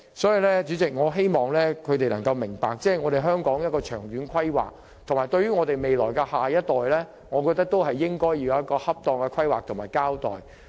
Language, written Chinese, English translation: Cantonese, 所以，主席，我希望他們能夠明白，對於香港的長遠發展和我們的下一代，我們要有恰當的規劃和交代。, Therefore Chairman I hope opposition Members can all realize that we actually owe it to our future generations to draw up appropriate planning for the long - term development of Hong Kong